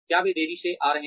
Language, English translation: Hindi, Are they coming late